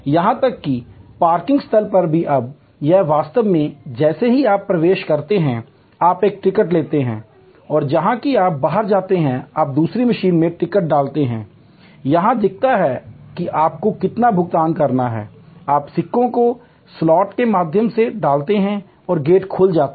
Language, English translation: Hindi, Even parking lots are now, you actually as you enter you take a ticket and as you go out, you insert the ticket in another machine, it shows how much you have to pay, you put the coins through the slot and the gate opens